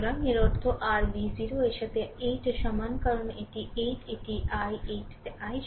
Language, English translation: Bengali, So, that means, your v 0 is equal to 8 into i because this is 8, this is i, 8 into i